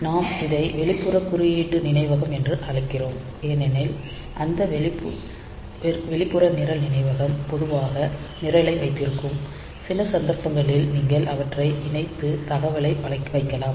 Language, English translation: Tamil, So, we also call it external code memory because this external program memory is generally holding the program of course, in some cases you can connect you and put the data they are as well, but for general generally